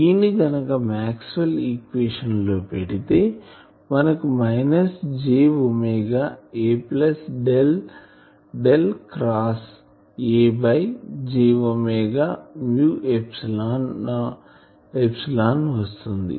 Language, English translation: Telugu, E is if we put this solution into the Maxwells equation you get minus j omega A plus Del Del cross A by j omega mu epsilon